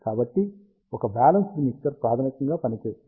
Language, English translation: Telugu, So, this is how a single balanced mixer fundamentally works